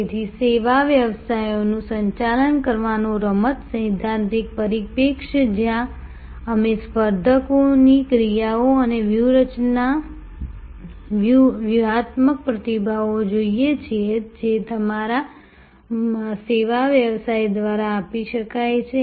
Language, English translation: Gujarati, So, the game theoretic perspective of managing service businesses, where we look at competitors actions and strategic responses that can be given by your service business